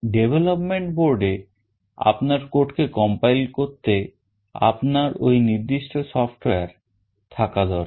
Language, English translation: Bengali, To compile your code into the development board you need that particular software